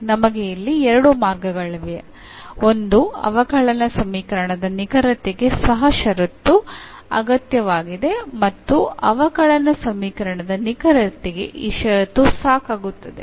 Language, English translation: Kannada, So, we have both ways here that this condition is also necessary for the exactness of a differential equation and this condition is also sufficient for exactness of a differential equation